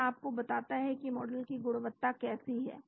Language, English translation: Hindi, So it tells you the quality of the model